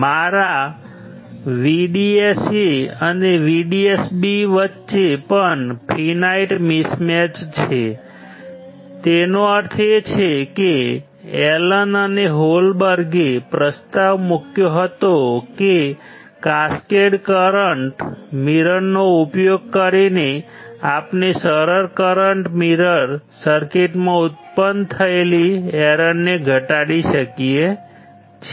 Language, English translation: Gujarati, Even there is a finite mismatch between my VDSA and VDSB; that means, Allen or Holberg proposed that by using the cascaded kind of current mirror, we can reduce the error generated in the simplest current mirror circuits